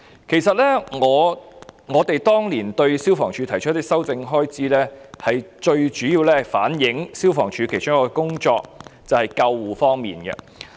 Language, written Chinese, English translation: Cantonese, 其實我們當年提出修訂消防處的開支，最主要的目的是反映消防處的其中一項工作，就是救護方面。, In fact when we proposed to amend the expenditure of FSD back then our main purpose was to reflect one of the functions of FSD which is the ambulance service